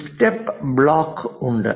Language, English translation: Malayalam, There is a step block